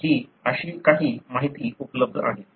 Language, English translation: Marathi, So, these are some of the information that are available